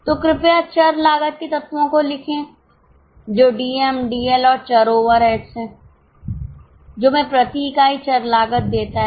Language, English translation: Hindi, So, please write down the elements of variable cost which is DM, DL and variable overheads which gives us variable cost per unit